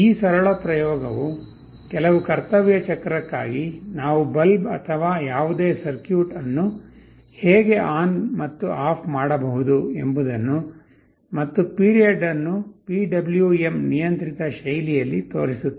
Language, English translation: Kannada, This simple experiment actually shows you how we can switch ON and OFF a bulb or any circuit for certain duty cycle, and period in a PWM controlled fashion